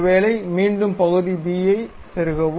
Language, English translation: Tamil, Perhaps again insert part b pick this one